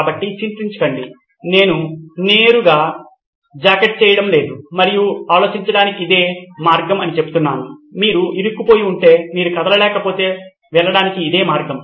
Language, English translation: Telugu, So worry not, I am not straight jacketing you and saying this is the only way to think, this is the only way to go if you are stuck, if you cannot move